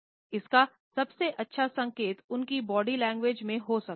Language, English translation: Hindi, The best cues may lie in his body language